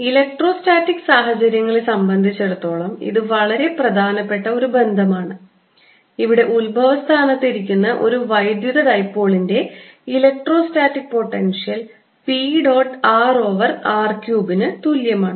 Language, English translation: Malayalam, and this is as important relationship as we had for electrostatic case, where we had the electrostatic potential of a electric dipole sitting at this origin was equal to p dot r over r cubed